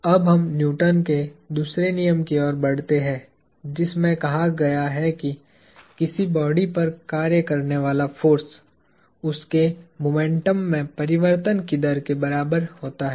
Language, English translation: Hindi, So, let us now move on to Newton’s second law, which states that, the force acting on a body is equal to its rate of change of momentum